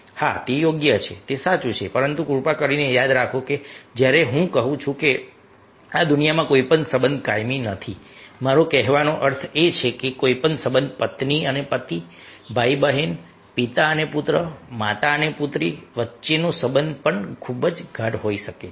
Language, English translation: Gujarati, but please remember, when i say that no relationship is permanent in this world, i mean to say that any relationship may be very intimate relationship, even between wife and husband, brother, sisters, father and son, mother and daughter